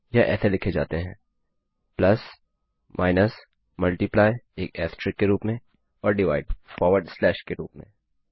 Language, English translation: Hindi, These are written as p lus, minus, multiply as an asterisk and divide as a forward slash